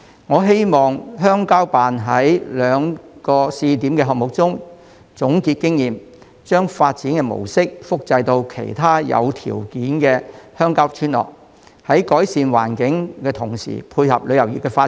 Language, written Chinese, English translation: Cantonese, 我希望鄉郊辦在兩個試點項目中總結經驗，將發展模式複製到其他有條件的鄉郊村落，改善環境同時配合旅遊業的發展。, I hope CCO will sum up the experience gained from the projects of these two pilot sites and replicated the development model in other rural villages with the suitable conditions so as to improve their environments while coping with the development of tourism